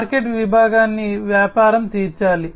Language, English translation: Telugu, The market segment the business is supposed to cater to